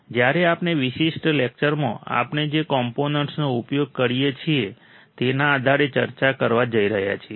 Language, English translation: Gujarati, When we are going to discuss in this particular lecture based on the components that we use